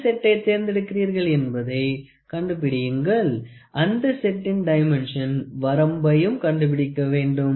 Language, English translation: Tamil, Determine the set you will select and the range of the dimension set with the selected set